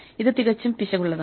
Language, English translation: Malayalam, This is quite error prone